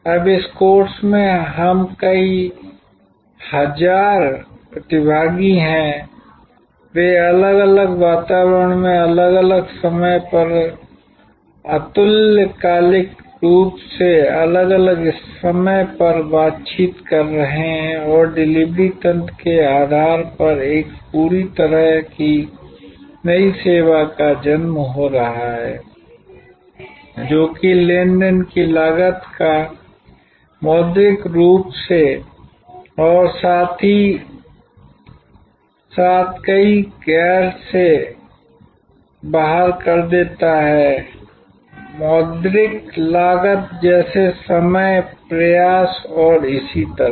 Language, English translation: Hindi, Now, in this course we are several 1000 participants, they are interacting synchronously, asynchronously different times in different environment and a complete new type of service is being born based on the delivery mechanism which vastly slashes out the transaction cost monetarily as well as many non monetary costs, like time, effort and so on